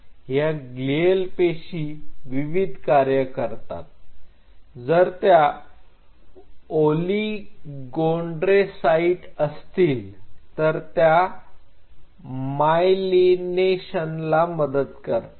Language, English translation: Marathi, And glial cells have multiple functions if it if it is an oligodendrocyte, then it supports the myelination